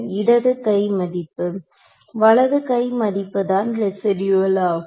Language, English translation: Tamil, Left hand side minus right hand side is called residual